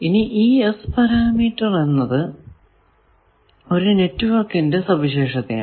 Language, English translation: Malayalam, Now, S parameters are properties of network their characters of network